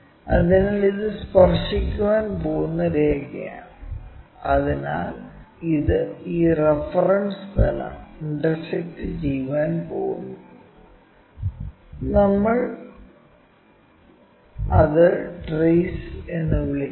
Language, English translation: Malayalam, So, this is the line which is going to touch that so it is going to intersect this reference plane and that point what we are calling trace